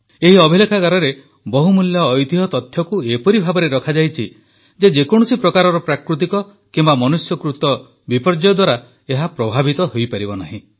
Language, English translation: Odia, Invaluable heritage data has been stored in this archive in such a manner that no natural or man made disaster can affect it